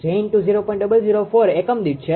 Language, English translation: Gujarati, 004 per unit